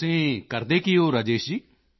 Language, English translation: Punjabi, What do you do Rajesh ji